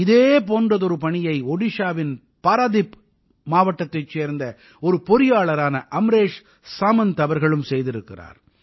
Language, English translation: Tamil, An engineer AmreshSamantji has done similar work in Paradip district of Odisha